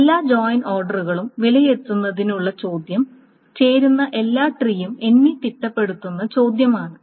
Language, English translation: Malayalam, So the question of evaluating all the join orders is the question of enumerating all the joint trees